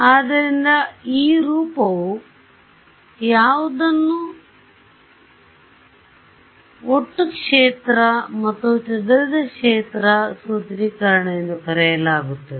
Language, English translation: Kannada, So, what is that form what is that trick is what is called the total field and scattered field formulation right